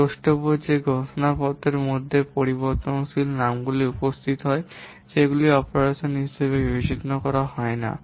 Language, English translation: Bengali, Note that the variable names appearing in the declarations they are not considered as operands